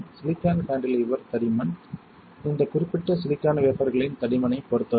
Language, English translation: Tamil, The silicon cantilever thickness depends on the thickness of this particular silicon wafer alright